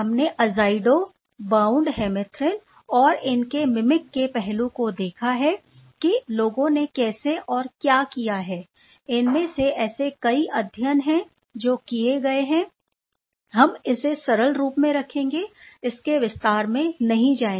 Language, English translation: Hindi, We have seen the azido bound hemerythrin and the mimicking aspect of these how and what people have done; some of it there are many studies that has been done we did not get into the detail to keep it simple